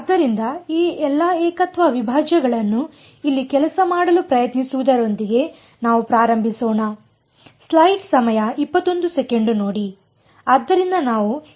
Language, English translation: Kannada, So, let us start with trying to put all these singular integrals to work over here